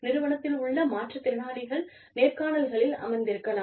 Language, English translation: Tamil, You could have, differently abled people, in the organization, sitting in on interviews